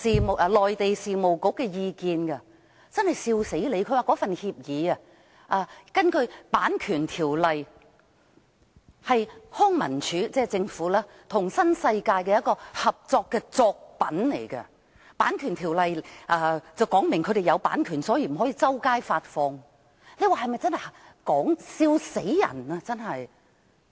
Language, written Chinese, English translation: Cantonese, 它說根據《版權條例》，該份協議是政府的康文署與新世界發展的一個合作的作品，《版權條例》規定是有版權的，所以不可以到處發放，大家說這是否笑死人呢？, This is indeed laughable . It said that under the Copyright Ordinance the agreement is joint works by LCSD of the Government and New World Development and therefore it has copyright under the Copyright Ordinance and cannot be issued to the public